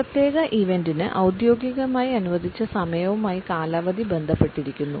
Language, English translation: Malayalam, Duration is related with the time which is formally allocated to a particular event